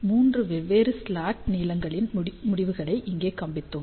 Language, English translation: Tamil, Here we have shown the results of three different slot lengths